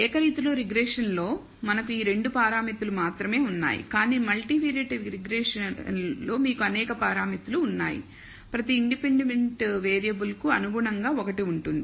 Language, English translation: Telugu, In the univariate regression we have only these two parameters, but multilinear regression there are several parameters you will have one corresponding to each independent variable and therefore, there will be lot more hypothesis test you will look